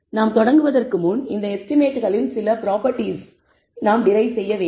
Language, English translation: Tamil, So, before we start, we need to derive some properties of these estimates that we have the derived